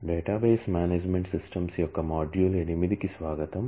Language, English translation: Telugu, Welcome to module 8 of Database Management Systems